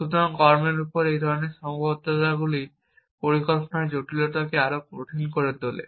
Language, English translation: Bengali, So, this kind of constrains on actions make complexity of planning more and more difficult essentially